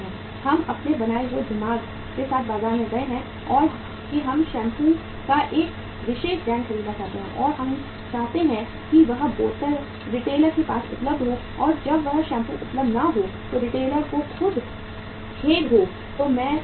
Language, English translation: Hindi, We we have gone up to the market with a our made up mind that we want to buy a particular brand of the shampoo and we we want to have that bottle available with the retailer and when that shampoo is not available and retailer says sorry I do not have the product how you feel at that time